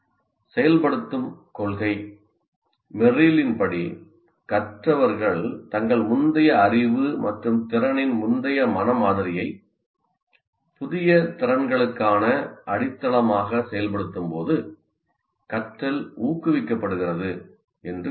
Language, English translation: Tamil, The activation principle, as Merrill states that learning is promoted when learners activate a prior mental model of their prior knowledge and skill as foundation for new skills